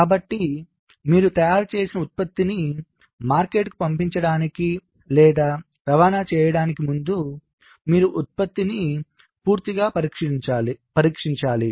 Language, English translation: Telugu, so before you can send or ship a product you have fabricated to the market, you need to thoroughly test the product